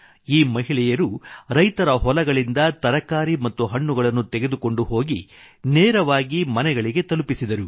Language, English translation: Kannada, These women worked to deliver vegetables and fruits to households directly from the fields of the farmers